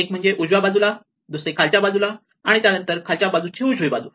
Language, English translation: Marathi, So, one to the right one to the bottom right in that the one below